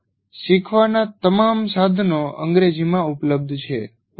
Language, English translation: Gujarati, But all learning resources are available in English